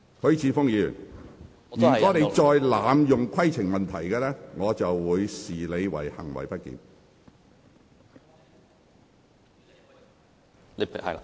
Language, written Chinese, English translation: Cantonese, 許智峯議員，如果你再濫用規程問題，我會視之為行為不檢。, Mr HUI Chi - fung if you keep on abusing the procedure of raising a point of order I will regard your action as a disorderly conduct